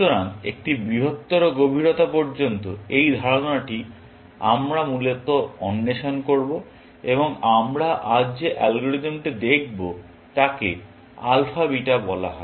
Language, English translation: Bengali, So, this is the idea that we will explore, up to a greater depth, essentially, and the algorithm that we want to look at today, is called Alpha Beta